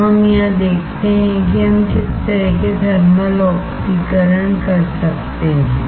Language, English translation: Hindi, So, let us see here what kind of thermal oxidation can we perform